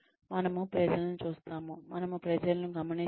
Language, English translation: Telugu, We observe people